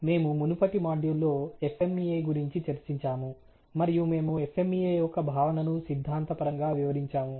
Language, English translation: Telugu, We were talking about FMEA and the last module and we theoretically introduce the concept of FMEA